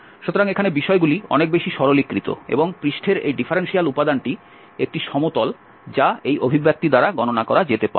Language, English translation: Bengali, So, here things are much more simplified and this differential element on the surface, surface is a plane which can be computed by this expression